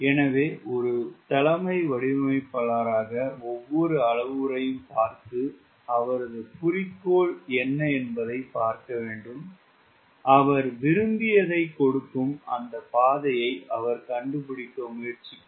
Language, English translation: Tamil, so the designers, chief designer has to look every parameter and see what it is goal and we try to find out that path which gives him what is desired